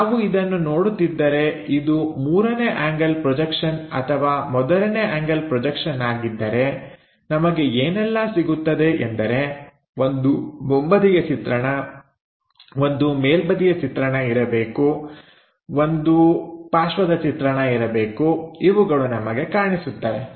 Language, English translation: Kannada, If it is third angle projection or first angle projection, the things what we will see is something there should be a front view, something supposed to be top view, something supposed to be side view